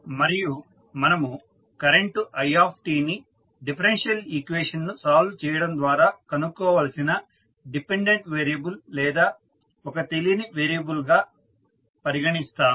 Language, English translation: Telugu, And we will consider it that is current as a dependent variable or unknown which we need to determine by solving this differential equation